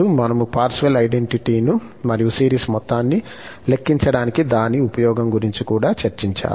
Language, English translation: Telugu, We have also discussed the Parseval's identity and indeed, use for computing the sum of a series